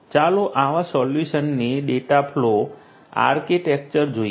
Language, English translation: Gujarati, Let us look at the dataflow architecture of such a solution